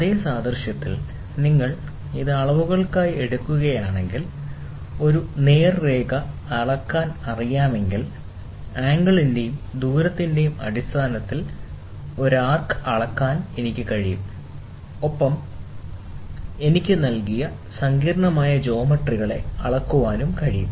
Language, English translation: Malayalam, In the same analogy, if you take it for measurements, if I know to measure a straight line, and if I am able to measure an arc in terms of angle and radius, then I can measure any complicated geometries given to me